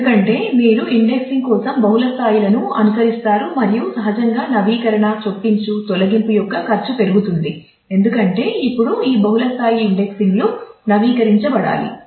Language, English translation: Telugu, Because, you are following multiple levels for indexing and the cost naturally of update insert delete increases; because now all of these multiple levels of indices will have to be updated